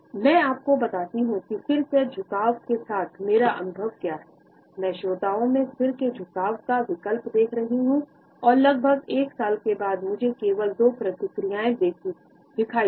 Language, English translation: Hindi, Let me tell you what my experiences with the head tilt are; I was looking for an alternative for the listeners nod, using it perpetually makes one look like a bobble head and after approximately one year of head tilting and noticed mainly two reactions